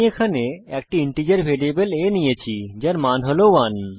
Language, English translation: Bengali, Here, I have taken an integer variable a that holds the value 1